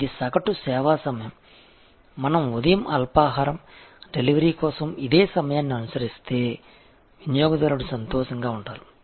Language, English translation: Telugu, This is the kind of average service time, if we maintain for breakfast delivery in the morning, the customer will be happy